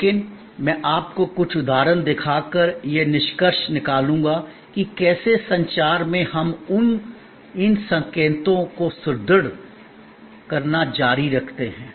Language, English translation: Hindi, But, today I will be conclude by showing you some examples that how in the communication we continue to reinforce these signals